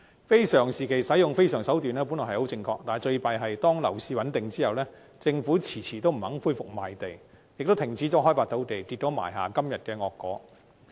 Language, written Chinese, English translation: Cantonese, 非常時期使用非常手段，本來十分正確，但最糟糕的是，當樓市穩定後，政府遲遲不肯恢復賣地，也停止開發土地，結果埋下今天的惡果。, It appears to be very appropriate to take unusual steps at unusual times . However the worst thing is after the property market has been stabilized the Government has been dragging its feet on resuming land sale and land development resulting in the grave consequences of today